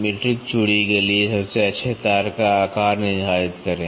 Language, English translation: Hindi, Determine the size of the best wire for metric threads